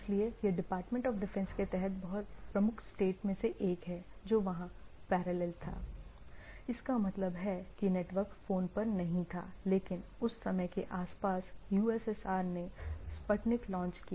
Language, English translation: Hindi, So, this is one of the major state under Department of Defense which was there and there was a, there was a parallel if means that is not on the network phone, but at the around that time USSR launched Sputnik